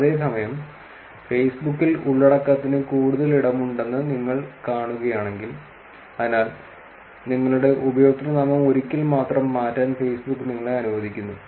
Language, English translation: Malayalam, Whereas, in facebook if you see there is lot more space for the content and therefore, facebook actually allows you to change your username only once